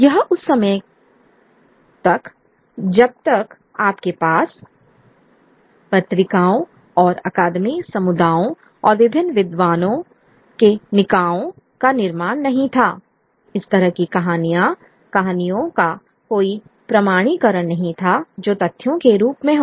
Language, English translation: Hindi, It till till such time that you had the creation of the journals and the academic communities and the various scholarly bodies there was no authentication of the kind of stories that were being passed off as facts